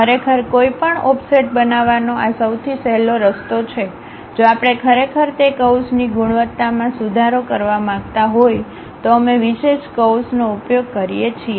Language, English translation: Gujarati, This is the easiest way one can really construct any offset, if we want to really improve the quality quality of that curve, we use specialized curves